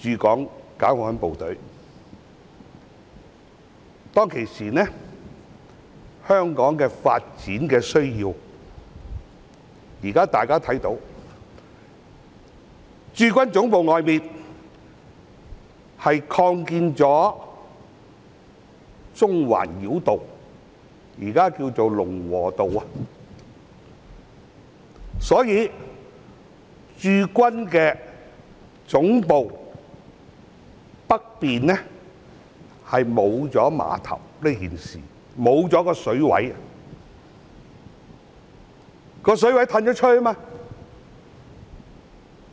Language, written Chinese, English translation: Cantonese, 當時，因應香港的發展需要——現在大家看到，駐軍總部外興建了中環繞道，現在稱為龍和道——故此駐軍總部北面沒有碼頭，因為水域已經外移。, At that time with a view to coping with the development needs of Hong Kong―we can now see that the Central Bypass currently known as Lung Wo Road has been constructed outside the Garrison Headquarters―a dock is no longer available at the site to the north of the Garrison Headquarters since the waterfront has already shifted outward